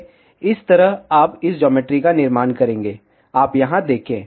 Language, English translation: Hindi, In this way, you will create this geometry, you see here